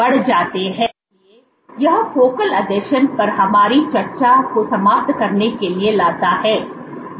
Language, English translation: Hindi, So, this brings to an end our discussion on focal adhesions